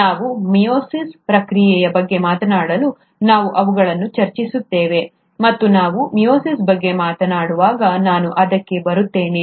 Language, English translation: Kannada, We’ll discuss them when we are talking about the process of ‘Meiosis’, and I’ll come to that when I’m talking about meiosis